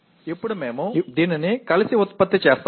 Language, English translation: Telugu, Now we produce it together like this